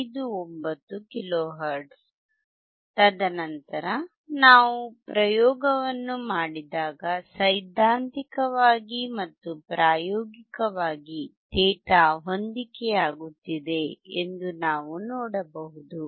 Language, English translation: Kannada, 59 kilo hertz and then when we perform the experiment we could see that theoretically and experimentally the data is matching